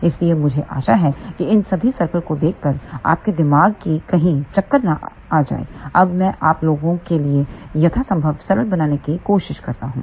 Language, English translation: Hindi, So, I hope that by seeing all these circles your mind does not go into circle, now I try to make things as simple as possible for you people